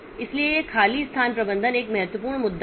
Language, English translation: Hindi, So, this free space management is a very important issue